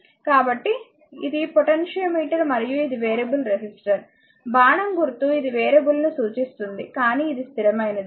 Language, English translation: Telugu, So, this is a potentiometer and this is a variable resistor, whenever making the arrow means this indicates a variable, but this is a fixed one